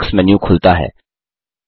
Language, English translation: Hindi, The Bookmark menu expands